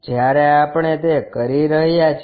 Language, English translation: Gujarati, When we are doing that